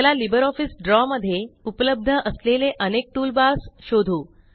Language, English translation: Marathi, Let us now explore the various toolbars available in LibreOffice Draw